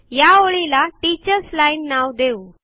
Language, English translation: Marathi, Let us name this line as Teachers line